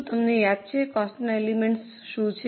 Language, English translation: Gujarati, Do you remember what are the elements of cost